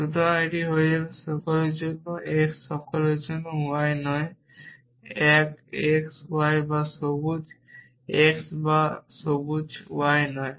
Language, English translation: Bengali, So, this will become for all x for all y not one x y or not green x or green y